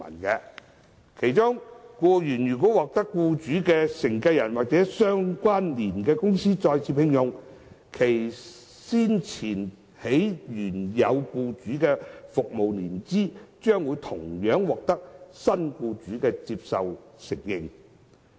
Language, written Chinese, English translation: Cantonese, 僱員如獲得僱主的繼承人或相聯公司再次聘用，其先前在原有僱主的服務年期將獲新僱主接受和承認。, If the employee is re - engaged by the employers successor or associated company his or her previous length of service with the original employer will be accepted and recognized by the new employer